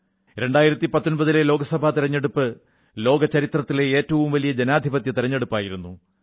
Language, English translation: Malayalam, The 2019 Lok Sabha Election in history by far, was the largest democratic Election ever held in the world